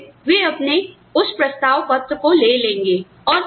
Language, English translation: Hindi, And then, they will take their, that offer letter